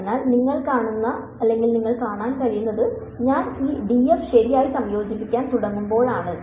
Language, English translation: Malayalam, So, what you can see is that when I start integrating this d f right